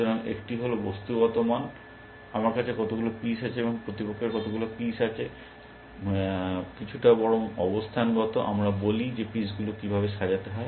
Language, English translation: Bengali, So, one is the material value, how many pieces I have, and how many pieces opponent has, rather is positional, we says, how are the pieces arranged